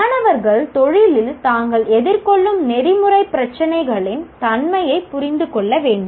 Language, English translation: Tamil, Students should understand the nature of ethical problems they face in a range of professions they are likely to get into